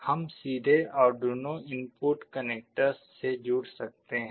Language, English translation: Hindi, We can directly connect to the Arduino input connectors